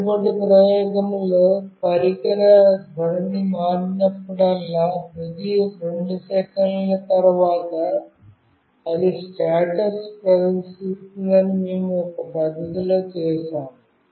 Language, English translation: Telugu, In the previous experiment, we have done it in a fashion that whenever the device orientation changes, after every 2 seconds it is displaying the status